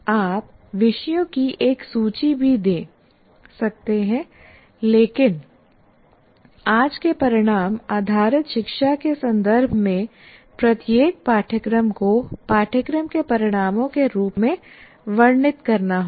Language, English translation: Hindi, You may also give a list of topics, but in today's context of outcome based education, every course will have to be described in terms of course outcomes